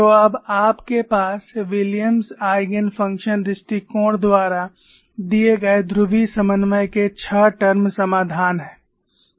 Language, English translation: Hindi, So, now, you have a six term solution in polar co ordinates given by Williams Eigen function approach